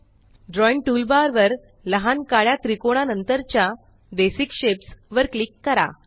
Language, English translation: Marathi, On the drawing toolbar, click on the small black triangle next to Basic Shapes